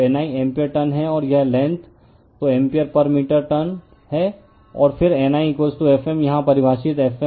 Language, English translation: Hindi, So, N I is ampere turn, and this the length, so ampere turns per meter and then N I is equal to F m, here we have define F m is equal to N I right